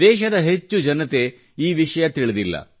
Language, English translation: Kannada, Not many people in the country know about this